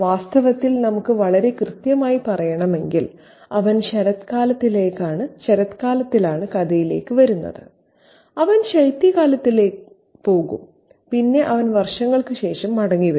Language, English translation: Malayalam, In fact, if we want to be very precise, he comes into the story in autumn and he leaves in winter and then he returns years later